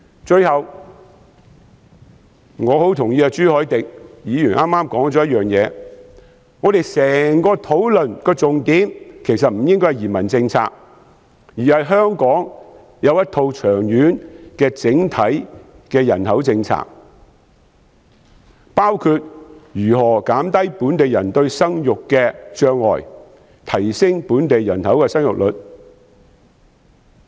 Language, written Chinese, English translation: Cantonese, 最後，我很同意朱凱廸議員剛才提及的一點：我們整個討論的重點其實不應該是移民政策，而是香港要有一套長遠的整體人口政策，包括如何減低本地人在生育方面的障礙，提升本地人口的生育率。, Lastly I very much agree with one point mentioned earlier by Mr CHU Hoi - dick our whole discussion should not focus on immigration policy but rather on the need for Hong Kong to have a long - term overall population policy including how to reduce fertility barriers to local people and raise the fertility rate of the local population